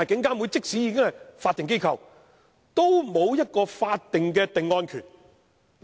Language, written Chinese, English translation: Cantonese, 但是，即使監警會是法定機構，也沒有法定的定案權。, Nevertheless even though IPCC is a statutory organization it has no statutory power to pass a verdict